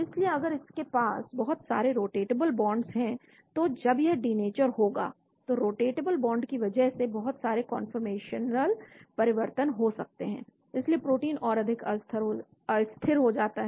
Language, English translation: Hindi, So if it has got too many rotatable bonds, so once it gets denatured the rotatable bonds leads to a lot of conformational changes, so protein becomes more unstable